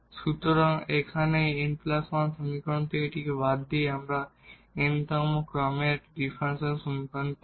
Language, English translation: Bengali, So, here by eliminating this from this n plus 1 equations we will obtain a differential equation of nth order